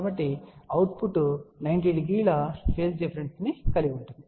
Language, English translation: Telugu, So, the output will have a phase difference of 90 degree